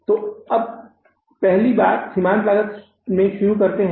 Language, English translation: Hindi, So, we are learning about the marginal costing